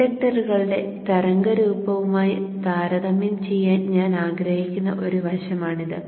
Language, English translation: Malayalam, I would also like to compare with the inductance inductors waveform